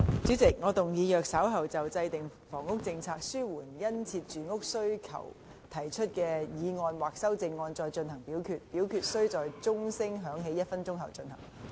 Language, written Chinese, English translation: Cantonese, 主席，我動議若稍後就"制訂房屋政策紓緩殷切住屋需求"所提出的議案或修正案再進行點名表決，表決須在鐘聲響起1分鐘後進行。, President I move that in the event of further divisions being claimed in respect of the motion on Formulating a housing policy to alleviate the keen housing demand or any amendments thereto this Council do proceed to each of such divisions immediately after the division bell has been rung for one minute